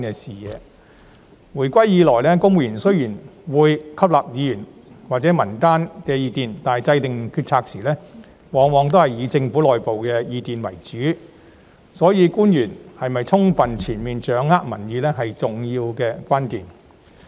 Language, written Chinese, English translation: Cantonese, 自回歸以來，雖然公務員會吸納議員或民間的意見，但制訂決策時往往仍以政府內部意見為主，所以官員是否充分全面掌握民意，是重要的關鍵。, Since the reunification although civil servants would take on board the views of Members and the public the Governments internal views have remained key considerations in decision making . It is therefore crucial for officials to have a full and comprehensive grasp of public opinion